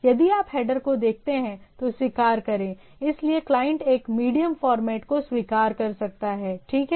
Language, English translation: Hindi, If you look at the header thing, so accept, so the medium format the client can accept, right